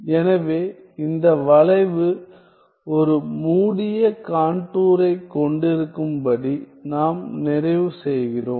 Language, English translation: Tamil, So, we complete this curve to have a closed contour